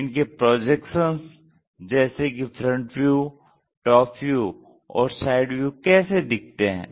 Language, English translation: Hindi, Look at their projections like what is the front view, what is the top view, and how the side view really looks like